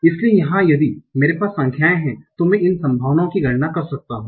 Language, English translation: Hindi, So here if I have the numbers, I can compute this probability